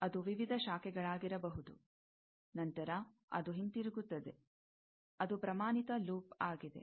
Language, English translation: Kannada, It may be various branches, after that, it is coming back; that is a standard loop